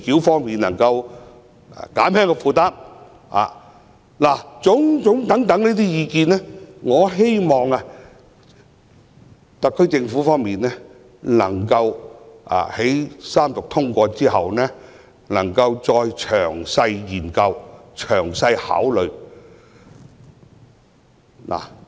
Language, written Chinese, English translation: Cantonese, 凡此種種意見，我希望特區政府在三讀通過《條例草案》後，能夠作出詳細的研究和考慮。, In respect of all these opinions I hope the SAR Government will conduct a detailed study and give due consideration after the Bill is read the Third time and passed . There is a key point in the current tax concession ie